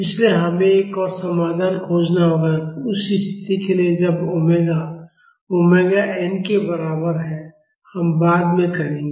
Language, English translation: Hindi, So, we have to find another solution, for the condition when omega is equal to omega n; that we will do later